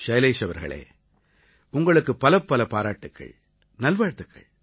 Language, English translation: Tamil, " Well, Shailesh ji, heartiest congratulations and many good wishes to you